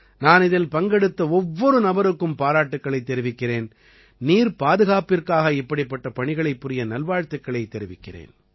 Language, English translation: Tamil, I congratulate everyone involved in this and wish them all the best for doing similar work for water conservation